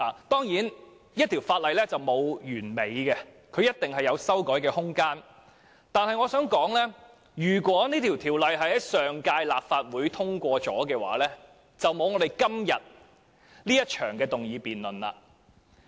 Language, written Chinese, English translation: Cantonese, 當然，沒有法例是完美的，必定會有修改的空間，但我想指出，如果《條例草案》已在上屆立法會獲得通過，便不會有今天這場議案辯論。, Certainly no law is perfect . There must be room for amendment . However I would like to point out that had the Bill been passed by the last - term Legislative Council there would not have been this motion debate today